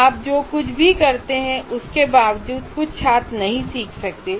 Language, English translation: Hindi, Some people, in spite of whatever you do, some students may not learn